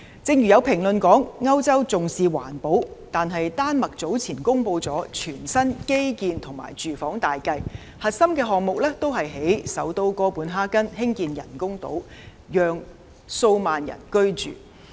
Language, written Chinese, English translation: Cantonese, 正如有評論說歐洲重視環保，但丹麥早前公布的全新基建及住房大計，核心項目也是在首都哥本哈根興建人工島，讓數萬人居住。, As some commentaries said Europe attaches importance to environmental protection . However earlier in Denmark a new infrastructure and housing plan was announced with the core project being building an artificial island in capital Copenhagen providing homes to tens of thousands of people